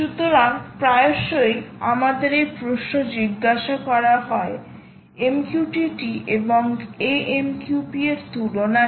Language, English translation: Bengali, so often we are asked this question: what is the comparison, comparison of mqtt and amqp right